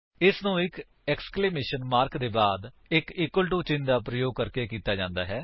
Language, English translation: Punjabi, It is done by using an exclamation mark followed by an equal to symbol